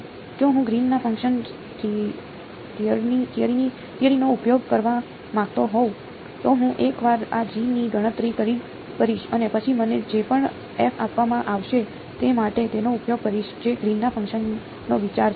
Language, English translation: Gujarati, If I wanted to use the theory of Green’s function, I would calculate this G once and then use it for whatever f is given to me that is the idea of Green’s function